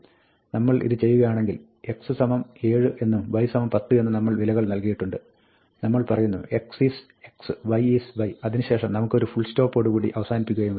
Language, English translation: Malayalam, If we do this, print x, y, we set x equal to 7, y equal to 10 and we say x is x and y is y and then, we want to end with a full stop